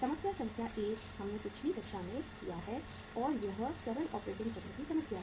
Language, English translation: Hindi, Problem number 1 we have done in the previous class and it is the problem of the simple operating cycle